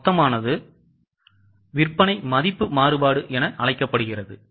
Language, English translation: Tamil, The total one is known as sales value variance